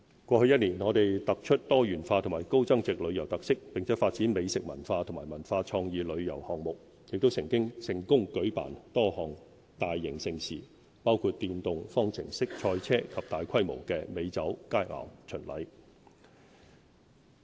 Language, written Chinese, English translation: Cantonese, 過去一年，我們突出多元化及高增值旅遊特色，並發展美食文化和文化創意旅遊項目，亦成功舉辦多項大型盛事，包括電動方程式賽車及大規模的美酒佳餚巡禮。, Last year we highlighted Hong Kongs diversified and high value - added travelling experiences as well as our gourmet culture and cultural and creative tourism . We successfully staged a number of mega events including the Formula E motor race and the large - scale Hong Kong Wine and Dine Festival . These strategies have delivered results